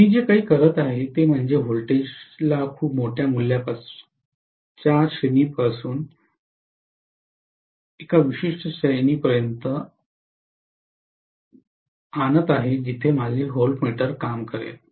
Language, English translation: Marathi, What I am doing is to bring down the voltage from a very very large value to a range where my voltmeter will work